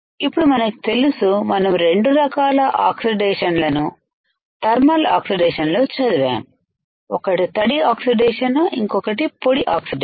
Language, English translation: Telugu, Now we know we have studied 2 types of oxidation in thermal oxidation, one is wet oxidation and another one is dry oxidation